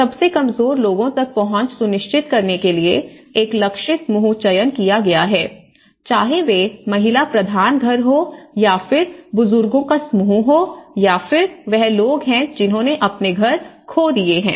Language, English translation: Hindi, One is the target group selection to ensure access to the most vulnerable, whether it is the women headed families or it is a elderly group or if they have lost their houses